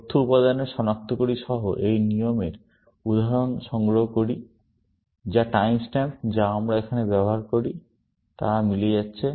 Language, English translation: Bengali, Collection of instance of this rule, along with the identifiers of the data elements; they are matching, which is the time stamps that we use here